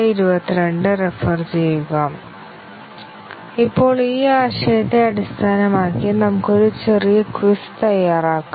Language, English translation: Malayalam, Now, let us work out a small quiz, based on this concept